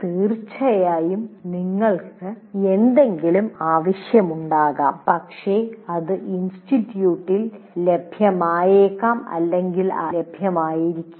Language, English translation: Malayalam, Of course, you may want something but it may or may not be available by the institute